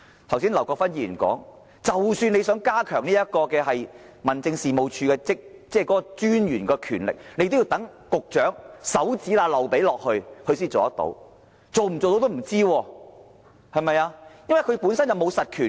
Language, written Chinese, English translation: Cantonese, 正如劉國勳議員剛才所說，即使要加強民政事務專員的權力，也要待局長在指縫間漏出來才可，但最終是否可行仍是未知之數，因為專員本身並無實權。, As Mr LAU Kwok - fan said earlier the successful implementation of the proposal for strengthening the power of District Officers rests in the hands of the Director of Bureau and whether it can be achieved eventually remains an unknown for District Officers do not have real powers